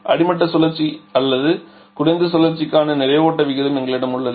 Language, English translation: Tamil, So, we have the mass flow rate for the bottoming cycle or for the lower cycle